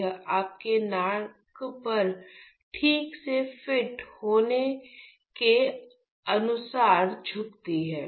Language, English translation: Hindi, So, it bends according to so that fits rightly onto your nose